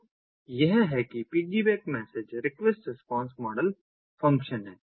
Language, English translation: Hindi, ok, so this is how the piggyback message request response model functions